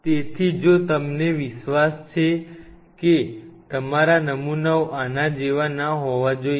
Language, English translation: Gujarati, So, if you are confident that your samples will not be like this